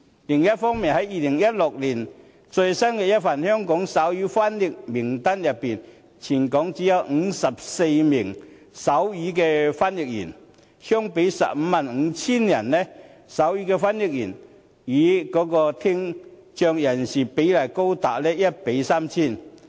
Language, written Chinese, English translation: Cantonese, 另一方面 ，2016 年的最新一份《香港手語翻譯員名單》中，全港只有54名手語翻譯員，相比 155,000 人，手語的翻譯員與聽障人士比例高達 1：3,000。, On the other hand the latest List of Sign Language Interpreters released in 2016 shows that there are only 54 sign language interpreters in Hong Kong . Compared with 155 000 people with hearing impairment the ratio between them stands at 1col3 000